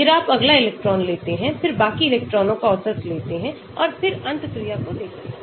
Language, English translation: Hindi, Then you take the next electron, then take the average of rest of the electrons and then see the interaction